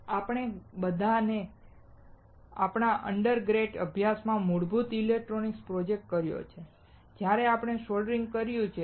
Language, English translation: Gujarati, All of us have done basic electronics project in our undergrad studies, where we have done soldering